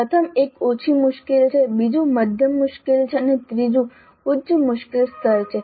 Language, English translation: Gujarati, The first one is lower difficulty, second one is moderate difficulty and the third one is higher difficulty level